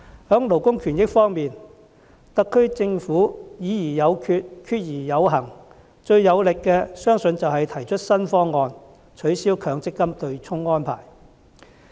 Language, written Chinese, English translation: Cantonese, 在勞工權益方面，特區政府"議而有決、決而有行"，最有力的，相信就是提出了新方案，取消強制性公積金對沖安排。, In terms of labour rights I think that the most powerful example of the SAR Governments resolve to decide and proceed after discussions was its new proposal to abolish the offsetting arrangement under the Mandatory Provident Fund MPF System